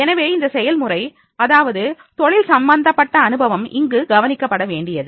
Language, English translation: Tamil, So, in this process, that is the work related experience that has to be taken care of